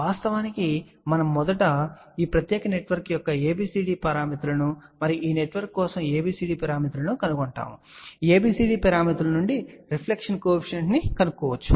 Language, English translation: Telugu, We actually first of all find the ABCD parameters of this particular network here and ABCD parameters for this network and from ABCD parameters we can find the reflection coefficient